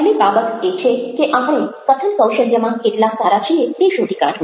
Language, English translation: Gujarati, the first thing is to find out how good we are at speaking skills